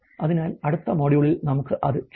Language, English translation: Malayalam, So, we will do that in the next module